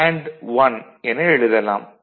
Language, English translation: Tamil, So, we include 1